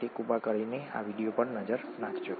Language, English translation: Gujarati, So please take a look at this video